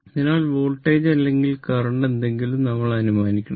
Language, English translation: Malayalam, So, just either voltage or current something, you have to assume right